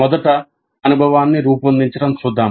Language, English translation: Telugu, First let us look at framing the experience